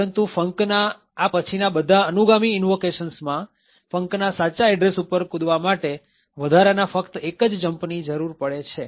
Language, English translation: Gujarati, All subsequent invocations of func would just have an additional jump is required to jump to the correct address of func